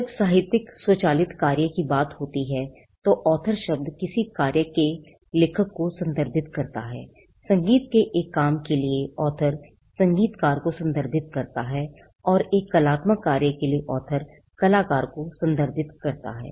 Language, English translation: Hindi, The term author refers to the author of a work when it comes to literary automatic work, for a musical work author refers to the composer and for an artistic work the word author refers to the artist